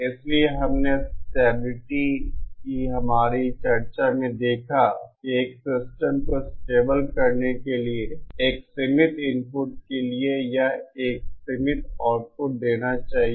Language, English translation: Hindi, So we will we saw from our discussion of stability that for a system to be stable, for a bounded input it should produce a bounded output